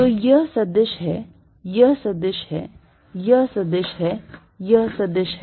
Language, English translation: Hindi, So, vector this is vector, this is vector, this is vector, this is vector